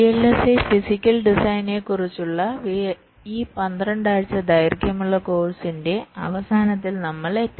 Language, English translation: Malayalam, so we have at last come to the end of this twelfth week long course on vlsi physical design